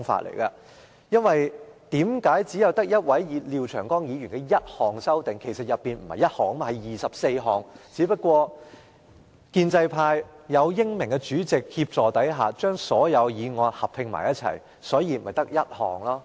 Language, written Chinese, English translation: Cantonese, 其實，在這項擬議決議案中，並不止1項修訂建議，而是有24項，只不過建制派在英明的主席協助下，把所有修訂建議合併，所以只有1項擬議決議案。, In fact under his proposed resolution there are 24 proposals instead of one single proposal to amend RoP . They are all put under the same proposed resolution by the pro - establishment camp with the assistance of our brilliant President . Therefore there is only one proposed resolution from the pro - establishment camp